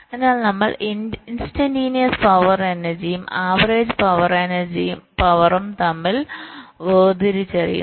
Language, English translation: Malayalam, so we distinguish between instantaneous power, energy and average power